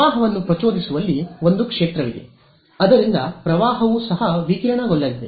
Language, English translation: Kannada, There is a field that is coming in inducing a current that current itself is also going to radiate